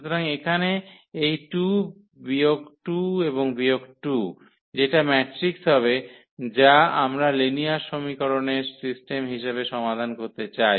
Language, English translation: Bengali, So, here this 2 minus 2 and minus 2, so that will be the matrix there which we want to solve as the system of linear equations